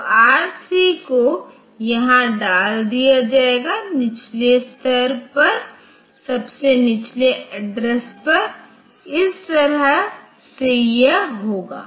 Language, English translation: Hindi, So, R3 it will be putting here, at the lower next lowest address, this way it will do